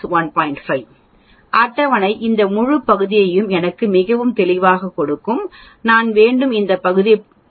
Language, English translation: Tamil, 5 the table will give me this whole area so obviously, I need to subtract that from 0